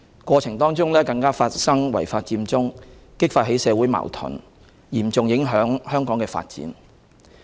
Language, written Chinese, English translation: Cantonese, 過程更發生違法佔中事件，激發起社會矛盾，嚴重影響香港的發展。, Worse still the occurrence of the unlawful Occupy Central during the process had aroused social conflicts and seriously undermined the development of Hong Kong